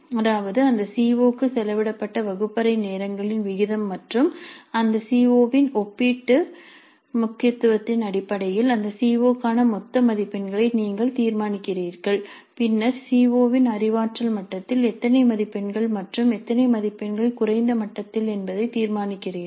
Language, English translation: Tamil, That means based on the proportion of classroom hours spent to that COO and the relative to importance of that CO you decide on the total marks for that COO and then decide on how many marks at the cognitive level of the COO and how many marks at lower levels